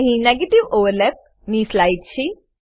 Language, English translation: Gujarati, Here is a slide for negative overlaps